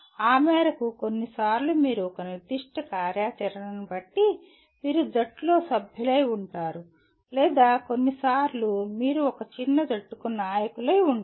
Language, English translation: Telugu, To that extent sometimes depending on a particular activity you are a member of a team or sometimes you are a leader of a small team